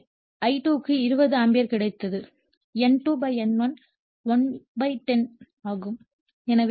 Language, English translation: Tamil, So, I2 we got 20 ampere and N2 / N1 is 1 /10